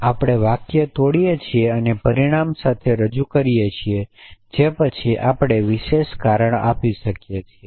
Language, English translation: Gujarati, We break down the sentence and represented with consequent which we can then reason about essentially